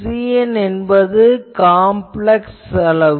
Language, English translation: Tamil, So, C n is a complex quantity